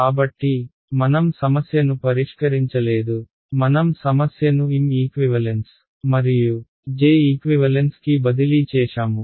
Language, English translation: Telugu, So, I have made it I have not actually solved the problem I have just transferred the problem into M equivalent and J equivalent ok